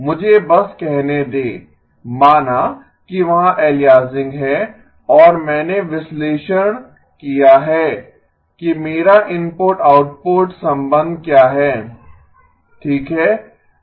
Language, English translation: Hindi, I have just let say let aliasing be there and I have analyzed what is my input output relationship okay